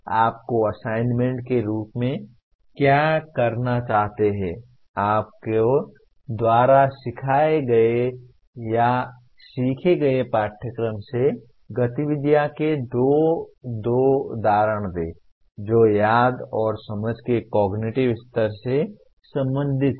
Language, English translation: Hindi, Now, what we would like you to do as assignments, give two examples of activities from the course you taught or learnt that belong to the cognitive levels of Remember and Understand